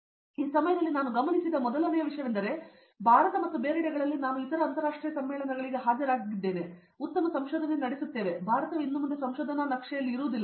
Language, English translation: Kannada, And then first thing I noticed this time, I have attended other international conferences also within India and elsewhere that we do very good research it’s not that India is no longer in the research map any more